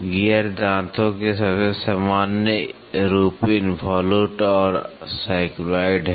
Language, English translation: Hindi, The most common form of gear tooth are involute and cycloid